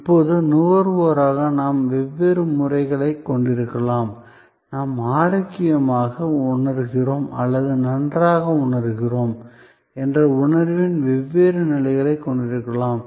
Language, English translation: Tamil, Now, as consumers we may have different modes, we may have different levels of sense of being feeling healthy or feeling well